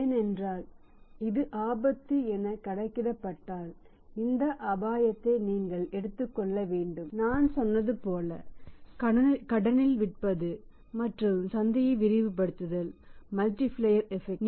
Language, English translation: Tamil, If it is calculated risk you must take this is this risk that way as I told you that selling on the credit and maximizing the market as the multiplier impact